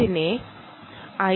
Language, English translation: Malayalam, ok, the i